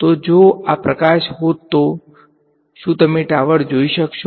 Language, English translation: Gujarati, So, if this were light would you be able to see the tower